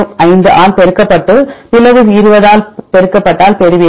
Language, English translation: Tamil, 05 and get the divide multiplied by 20, then you get the numbers